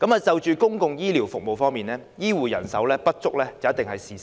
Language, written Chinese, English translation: Cantonese, 在公共醫療服務方面，醫護人手不足是事實。, Regarding public health care service the shortage of health care staff is a fact